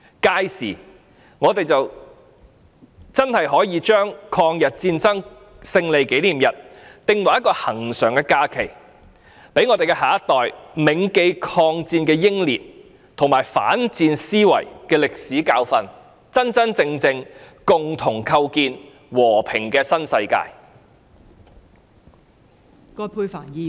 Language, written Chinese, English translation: Cantonese, 屆時，我們才應將抗日戰爭勝利紀念日訂為一個恆常假期，讓我們的下一代銘記抗戰的英烈和反思戰爭的歷史教訓，共同構建和平的新世界。, We should also designate the Victory Day of the Chinese Peoples War of Resistance against Japanese Aggression as a permanent holiday so that the younger generation will remember the war heroes and reflect on the historical lessons as well as create a peaceful new world together